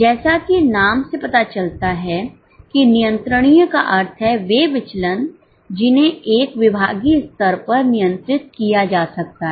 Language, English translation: Hindi, As the name suggests, controllable means those variances which can be controlled at a departmental level